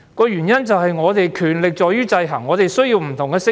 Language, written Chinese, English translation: Cantonese, 原因在於權力會受到制衡，因此我們需要不同的聲音。, It was because power would be subject to checks and balances under a democratic system and so we need different voices